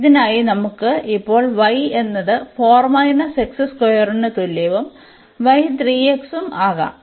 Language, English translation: Malayalam, So, here y is 1